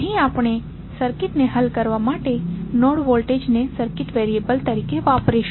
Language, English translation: Gujarati, Here we will usenode voltage as a circuit variable to solve the circuit